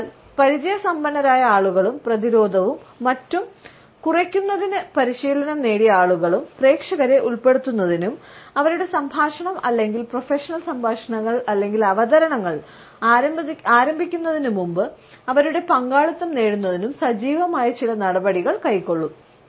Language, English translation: Malayalam, So, people who are experienced and people who have been trained to lower the defenses and other people will be actively taking certain actions to involve the audience and to get their participation before they actually begin either their dialogue or professional talks or presentations